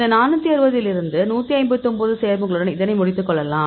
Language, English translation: Tamil, We will do this, you ended up with 159 compounds from this 460